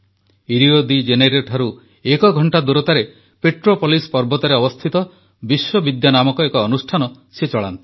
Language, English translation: Odia, He runs an institution named Vishwavidya, situated in the hills of Petropolis, an hour's distance from Rio De Janeiro